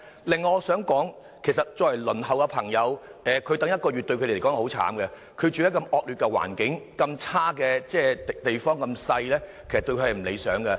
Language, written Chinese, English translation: Cantonese, 另外，我想說的是，要輪候中的市民再等一個月，對他們來說是很慘的，他們住在環境惡劣和狹小的地方，其實並不理想。, Furthermore in my view having to wait for another month is something very miserable to applicants on the waiting list because they must still live in cramped dwellings with atrocious conditions in the meantime . This is undesirable indeed